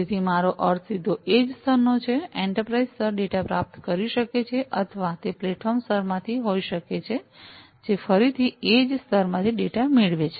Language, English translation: Gujarati, So, I mean directly from the edge layer, the enterprise layer could be receiving the data or it could be from the platform layer, which again receives the data from the edge layer